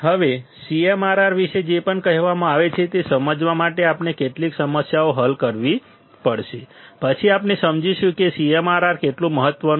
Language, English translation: Gujarati, Now, to understand whatever that has been told about CMRR; we have to solve some problems, then we will understand how CMRR important is